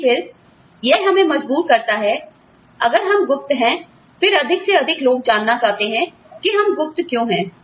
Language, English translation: Hindi, But then, it forces us to, if we are secretive, then more and more people, will want to know, why we are secretive